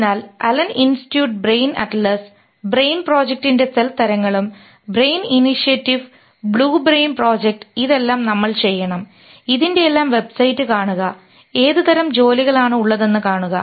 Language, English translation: Malayalam, So, LNA Institute, Brain Atlas and Cell Types, Brain Project, Brain Initiative, Blue Brain Project, all these things you should see the websites of all this and see the type of work